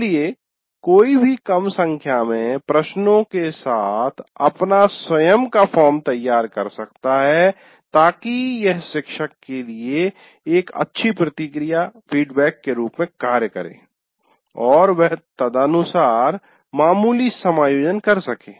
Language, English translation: Hindi, So one can design one's own form with small number of questions so that it acts as a good feedback to the teacher and he can make minor adjustments accordingly